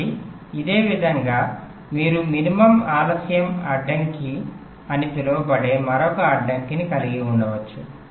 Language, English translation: Telugu, so in a similar way you can have another constraint that is called a min delay constraint